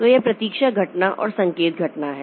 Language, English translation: Hindi, Then wait for event or signal event